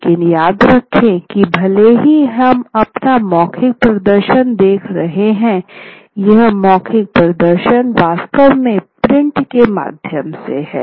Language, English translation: Hindi, But all the while do remember that even though we are watching oral performance today, these oral performances are actually mediated through print